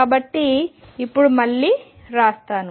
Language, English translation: Telugu, So, let us now write again